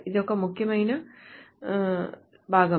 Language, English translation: Telugu, This is an important part